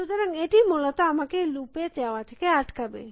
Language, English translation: Bengali, So, this will stop me from going into loop essentially